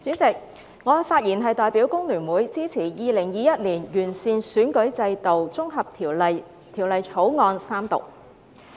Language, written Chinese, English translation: Cantonese, 主席，我代表香港工會聯合會發言支持《2021年完善選舉制度條例草案》三讀。, President on behalf of the Hong Kong Federation of Trade Unions FTU I speak in support of the Third Reading of the Improving Electoral System Bill 2021 the Bill